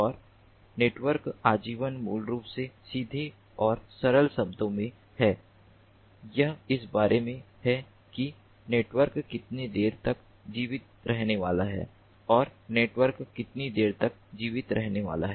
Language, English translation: Hindi, and network lifetime is basically, in plain and simple terms, it is about how long the network is going to survive, how long the network is going to survive